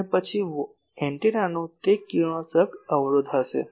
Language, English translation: Gujarati, And then there will be that radiation resistance of the antenna